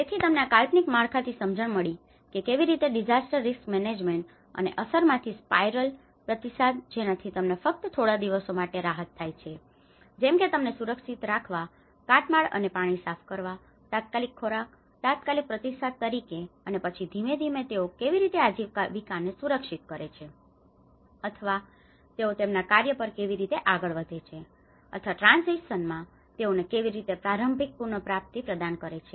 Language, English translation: Gujarati, So, a framework have been understood a conceptual understanding how a disaster risk management and response spiral from the impact, you have the relief which happens only for a few days like providing you know securing them, clearing the debris and water, food you know for the immediate, as immediate response and then gradually how they secure the livelihoods or how they get on to their works or how they can provide some temporary early recovery in transition